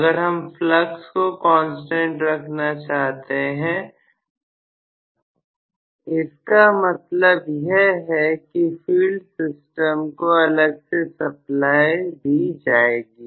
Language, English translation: Hindi, We want to keep flux as a constant, then that means, the field system has to be supplied separately